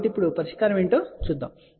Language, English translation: Telugu, So now, let us look at the solution